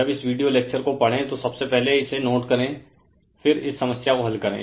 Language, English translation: Hindi, When you read this video lecture, first you note it down right, then you solve the problem